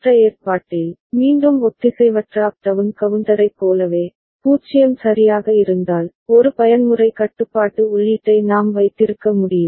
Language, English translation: Tamil, And in the other arrangement, again similar to the asynchronous up down counter, we can have a mode control input right when if it is 0 all right